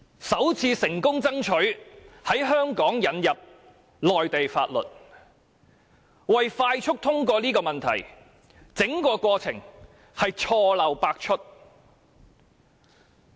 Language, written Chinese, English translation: Cantonese, 首次成功爭取在香港引入內地法律，而為了快速通過《條例草案》，整個過程錯漏百出。, For the first time they have successfully introduced Mainland laws into Hong Kong . Moreover the entire process is fraught with loopholes and mistakes as the Administration only wants to pass the Bill as soon as possible